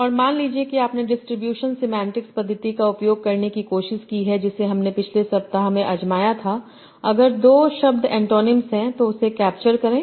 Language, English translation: Hindi, And suppose you try to use the distribution semantic method that we tried in the last week to capture if two words are antonyms